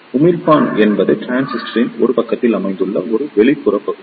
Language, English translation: Tamil, The Emitter is an outer mist region situated on one side of the transistor